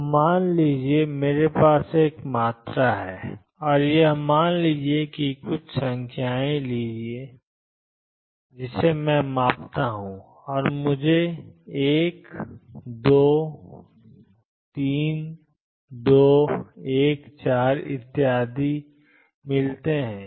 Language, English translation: Hindi, So, suppose I have a quantity or say take some numbers, let us say I measure and I get 1 2 2 3 1 4 and so on